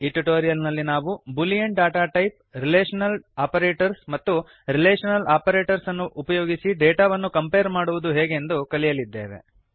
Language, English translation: Kannada, In this tutorial, we will learn about the the boolean data type Relational operators and how to compare data using Relational operators